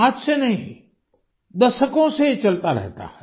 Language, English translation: Hindi, And this is not about the present day; it is going on for decades now